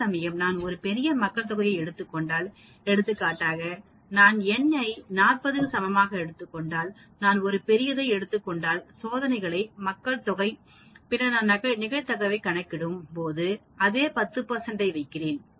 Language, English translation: Tamil, Whereas if I take a larger population, for example, if I take n equal to 40, if I take a larger population for testing and then I keep the same 10 percent, when I calculate the probability then as you can see here, if I go to 2 percent successes here it is still going to 14 percent of probability